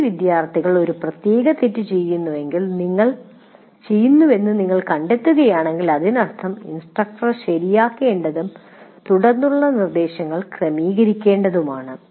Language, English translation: Malayalam, That means if you find many students are committing a particular mistake, that means there is something that instructor needs to correct, have to adjust his subsequent instruction